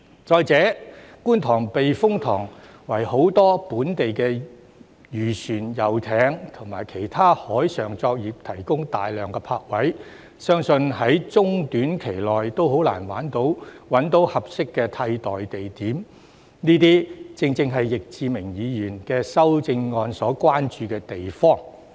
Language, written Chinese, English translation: Cantonese, 再者，觀塘避風塘為很多本地漁船、遊艇和其他海上作業者提供大量泊位，相信在中短期內也很難找到合適的替代地點，這些正正是易志明議員的修正案所關注之處。, Moreover the Kwun Tong Typhoon Shelter provides a large number of berthing spaces for many local fishing vessels yachts and other offshore operators . I believe that it will be hard to find a suitable alternative location in the short to medium term . These are precisely the concerns raised in Mr Frankie YICKs amendment